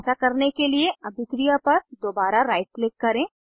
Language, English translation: Hindi, To do so, right click on the reaction again Click on Destroy the reaction